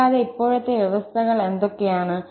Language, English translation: Malayalam, And, what are the conditions now